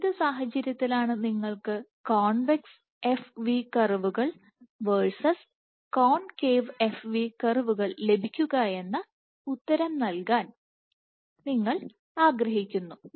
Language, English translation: Malayalam, So, and you want to answer that under what circumstances would you get convex f v curves versus concave f v curves